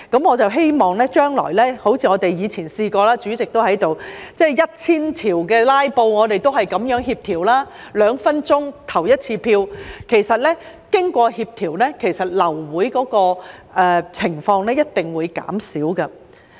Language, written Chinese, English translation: Cantonese, 我們以前也試過——當時代理主席也在席——就多至 1,000 項修正案的"拉布"，我們也是這樣協調，兩分鐘表決一次，其實經過協調，流會的情況一定會減少。, In the past we had such an experience―at that time the Deputy President was present too―regarding the filibustering on as many as 1 000 amendments we also coordinated in this way . A vote was taken every two minutes . In fact through coordination abortions of meetings will certainly reduce